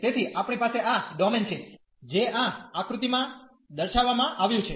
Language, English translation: Gujarati, So, we have this domain, which is depicted in this figure